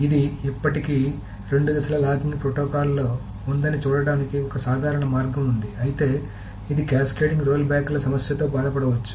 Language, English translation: Telugu, So it is a simple way to see that this is still in a two phase locking protocol but it can suffer from this problem of cascading rollbacks